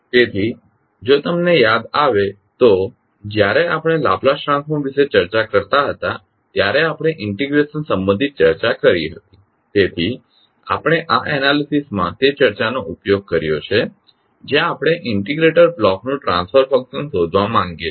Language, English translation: Gujarati, So, if you recall we discussed about the integration related when we were discussing about the Laplace transform so we used that discussion in this particular analysis where we want to find out the transfer function of the integrator block